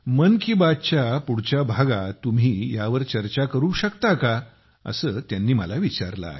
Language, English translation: Marathi, She's also asked if you could discuss this in the upcoming episode of 'Mann Ki Baat'